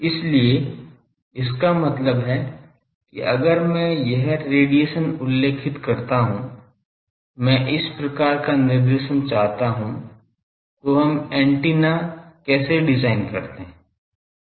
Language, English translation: Hindi, So; that means, if I specify that radiation I want this type of directive nature, then how do we design the antenna